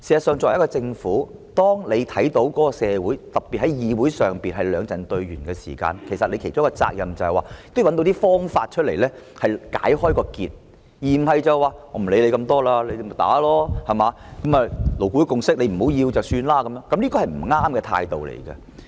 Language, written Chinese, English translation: Cantonese, 作為一個政府，當看到社會上兩陣對圓時，其中一個責任便是找出一些方法，把結解開，而不是說不管那麼多，就讓大家爭拗，如果大家不要勞顧會的共識便作罷，這是不正確的態度。, When the Government sees confrontation between two camps in society particularly in this Council one of its responsibilities is to find some ways to untie the knot . It is incorrect to assume a devil - may - care attitude to let the argument rage on and leave LABs consensus discarded . Therefore Deputy President with this brief speech I just wish to raise a point